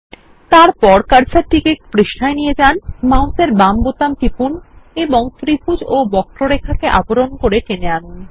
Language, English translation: Bengali, Now move the cursor to the page, press the left mouse button and drag to cover the triangle and the curve